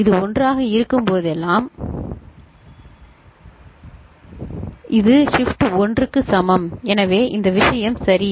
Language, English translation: Tamil, Shift whenever it is 1 so, this is the shift is equal to 1 so this thing ok